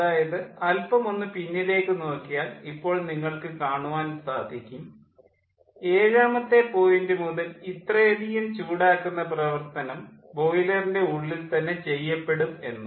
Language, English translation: Malayalam, so now you see, if we go back now you see that from point seven there is this: much of heating will be done in the boiler itself